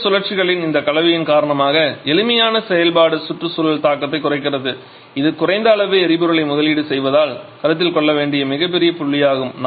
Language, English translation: Tamil, Simplified operation because of this combination of the two cycles lower environmental impact that is a very big point to be considered as we are investing less amount of fuel